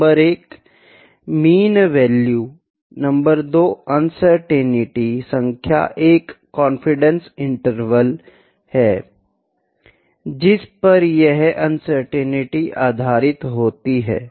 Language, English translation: Hindi, Number 1, mean value; number 2 uncertainty number is a confidence interval on which this uncertainty is based